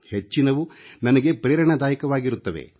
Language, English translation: Kannada, Most of these are inspiring to me